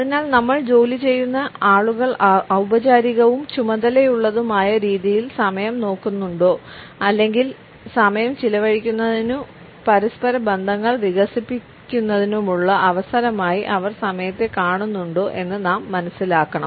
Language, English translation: Malayalam, So, we have to understand whether the people with whom we work, look at time in a formal and task oriented fashion or do they look at time as an opportunity to a spend time and develop interpersonal relationships